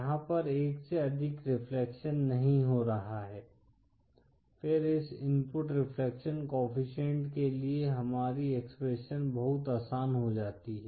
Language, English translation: Hindi, There is no multiple refection happening, then our expression for this input reflection coefficient becomes much easier